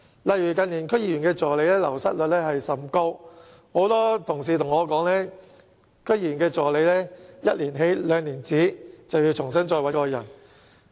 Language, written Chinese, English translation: Cantonese, 例如近年區議員助理的流失率甚高，很多同事告訴我，區議員助理"一年起，兩年止"，便須重新再進行招聘。, For example in recent years the wastage rate of assistants to DC members was quite high and many Honourable colleagues told me that assistants to DC members would work for them for just one year or two years at the most before recruitment exercises had to be conducted again